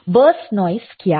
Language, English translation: Hindi, What is burst noise